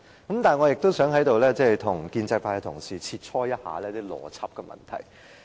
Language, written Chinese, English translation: Cantonese, 但是，我也想在此跟建制派同事切磋一下邏輯的問題。, However I would also like to discuss the issue of logic with Members belonging to DAB